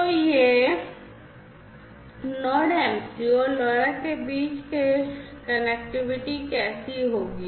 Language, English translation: Hindi, So, this is how this connectivity is going to happen between the Node MCU between the Node MCU and the LoRa